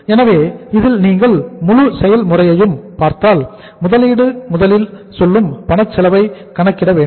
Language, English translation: Tamil, so in this if you look at the whole process, investment first we have to calculate the say cash cost